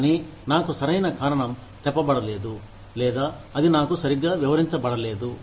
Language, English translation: Telugu, Either, i am not being told the right reason for it, or it has not been explained to me properly